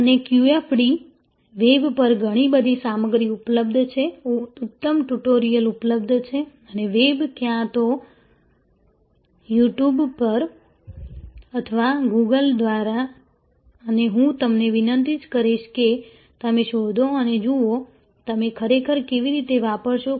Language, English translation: Gujarati, And QFD, the lots of material are available on the web, excellent tutorials are available and the web, either at You Tube or through Google and I will request you to go through them and see, how you will actually apply